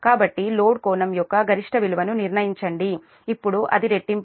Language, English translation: Telugu, so determine the maximum value of the load angle, now it is doubled